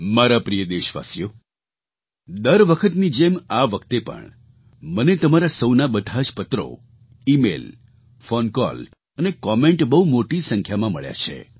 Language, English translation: Gujarati, My dear countrymen, just like every time earlier, I have received a rather large number of letters, e mails, phone calls and comments from you